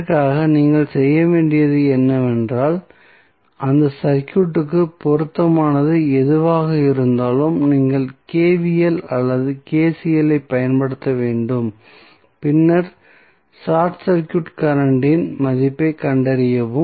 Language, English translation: Tamil, So, for this what you have to do, you have to just apply either KVL or KCL whatever is appropriate for that circuit, then find the value of short circuit current